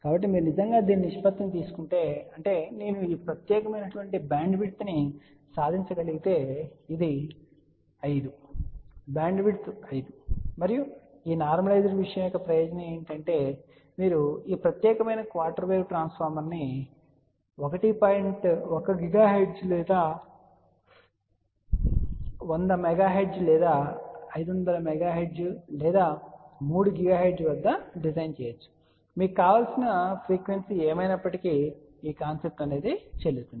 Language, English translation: Telugu, So, if you really take the ratio of this to this so; that means, if I can achieve this particular bandwidth this can be 5 is to 1 bandwidth and the advantage of this normalized thing is you can design this particular quarter wave transformer at 1 gigahertz or 100 megahertz or 500 megahertz or 3 gigahertz; whatever is your desired frequency, this concept will be valid